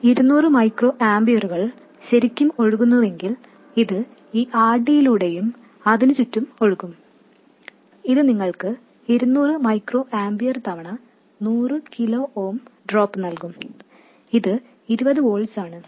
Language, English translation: Malayalam, And if this 200 microampiers is really flowing, it will flow through this RD and across it it will give you a drop of 200 microamperes times 100 kilo ooms which is 20 volts